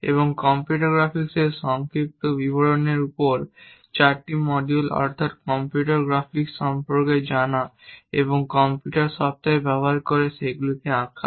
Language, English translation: Bengali, And 4 modules on overview of computer graphics, knowing about computer graphics and drawing them using computer softwares; and 2 modules on picking up a specific problem and doing design project